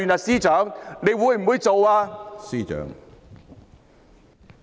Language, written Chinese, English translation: Cantonese, 司長會不會這樣做呢？, Will the Chief Secretary do so?